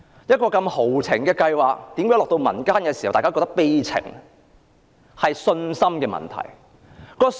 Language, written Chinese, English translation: Cantonese, 一個如此豪情的計劃落到民間，卻變成這麼悲情，是信心的問題。, This lofty project has become a misery in the eyes of the public due to a lack of confidence